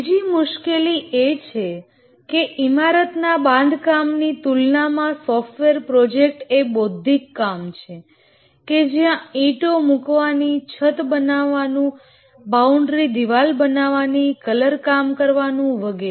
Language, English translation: Gujarati, The third problem is that software projects are intellectual work compared to a building construction where the bricks have to be laid, the roof has to be constructed, boundary wall has to be constructed, painted and so on